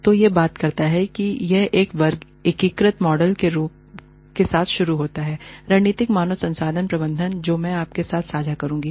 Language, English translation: Hindi, So, it talks about, it starts with an integrated model, of strategic human resource management, that i will share with you